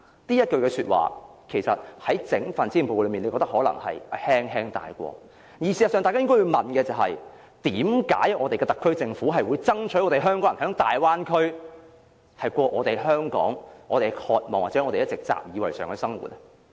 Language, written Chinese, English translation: Cantonese, 大家可能覺得，施政報告只是輕輕帶過這幾句說話，但事實上，大家應該問：為何特區政府會爭取為港人在大灣區過我們渴望或一直習以為常的生活呢？, We may feel that these words are just casually put forward in the Policy Address . But in fact we should ask Why would the SAR Government seek on behalf of Hong Kong people to let them live in the Bay Area the life they want to live here or have long been accustomed to?